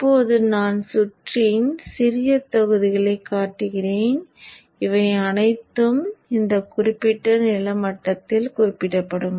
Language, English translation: Tamil, Now let me just show a simple blocks of the circuit so that all would be referred to this particular ground